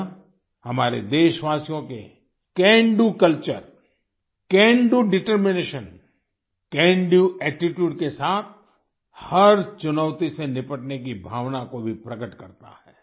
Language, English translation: Hindi, It also shows the spirit of our countrymen to tackle every challenge with a "Can Do Culture", a "Can Do Determination" and a "Can Do Attitude"